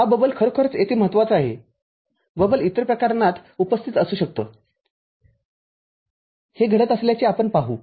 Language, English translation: Marathi, This bubble is actually what is important over here the bubble can be present in many other cases, we will see this happening